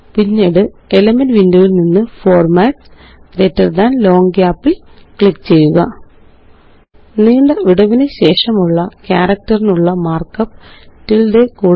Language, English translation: Malayalam, Then from the Elements window click on Formatsgt Long Gap The mark up for long gap is the tilde character